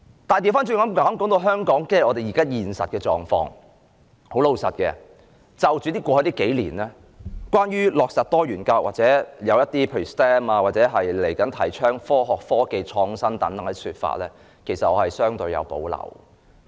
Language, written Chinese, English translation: Cantonese, 反過來說，談到香港現實的狀況，老實說，過去數年，出現有關落實多元教育或某些說法，例如科學、科技、工程和數學或其後提倡的科學、科技創新等，我其實相對有保留。, On the other hand when it comes to the reality of Hong Kong frankly speaking the implementation of diversified education and some other suggestions have been made in the past few years such as STEM education or subsequent proposals on science technological innovation etc . I actually have some reservations about them